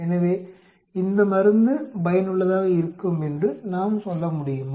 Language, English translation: Tamil, So, can we say this drug it be effective